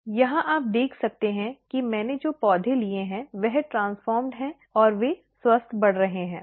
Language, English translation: Hindi, Here you can see that the plants which I have taken, it is the transformed one and they are growing healthy